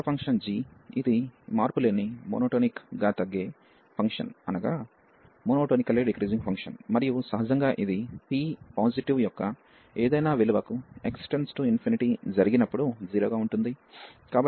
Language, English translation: Telugu, The other function g, which is monotonically decreasing function and naturally this tends to 0 as x tends infinity for any value of p positive